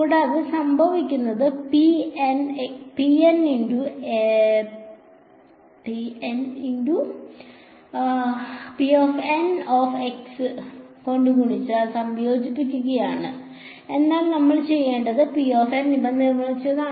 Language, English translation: Malayalam, And, what is happening is being multiplied by P N x and integrated, but how did we construct these P N's